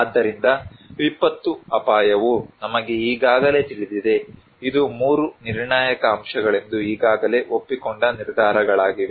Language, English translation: Kannada, So, disaster risk is we already know, is already agreed decisions that it is the 3 critical components